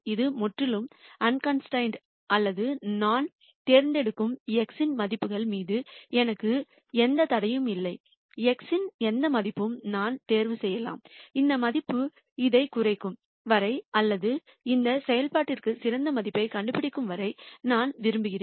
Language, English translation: Tamil, This is completely unconstrained or I have no restrictions on the values of x I choose, I can choose any value of x, I want as long as that value minimizes this or finds a best value for this function